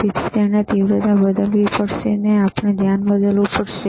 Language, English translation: Gujarati, So, he have to we have to change the intensity, we have to change the focus